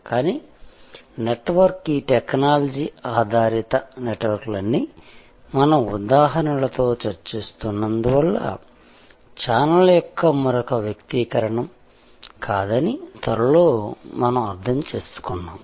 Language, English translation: Telugu, But, soon we understood that network, all these technology based networks were not just another manifestation of channels as we were discussing with examples